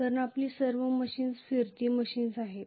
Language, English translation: Marathi, Because all our machines are rotating machines